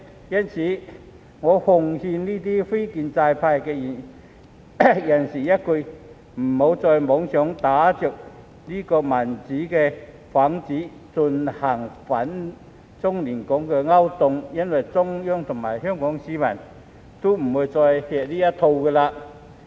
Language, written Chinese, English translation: Cantonese, 因此，我奉勸這些非建制派人士一句：別再妄想打着"民主"幌子，進行反中亂港的勾當了，因為中央和香港市民都不會再吃這一套。, Therefore I would like to give a piece of advice to such non - establishment elements Stop dreaming of acting against China and destabilizing Hong Kong under the banner of democracy because neither the Central Government nor the people of Hong Kong will fall for that anymore